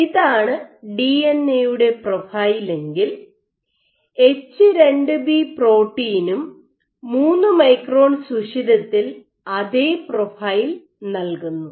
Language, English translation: Malayalam, If this is the profile of the DNA, H2B give the exact same profile, your pore size is 3 microns